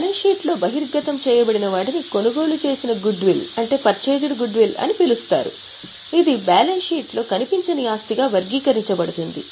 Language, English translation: Telugu, What is disclosed in the balance sheet is called as a purchased goodwill which is classified as intangible asset in the balance sheet